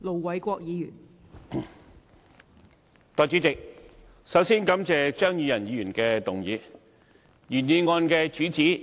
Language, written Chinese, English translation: Cantonese, 代理主席，我首先感謝張宇人議員提出這項議案。, Deputy President my fellow party member Mr Tommy CHEUNG has explained to us why he raises this motion